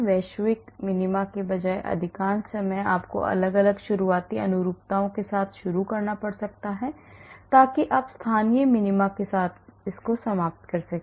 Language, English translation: Hindi, Most of the time rather than global minima so you may have to start with different starting conformations so that you end up with a local minima